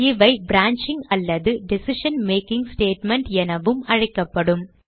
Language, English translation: Tamil, It is also called as branching or decision making statement